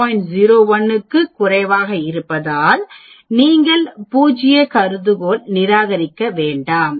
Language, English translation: Tamil, 01 so you do not reject null hypothesis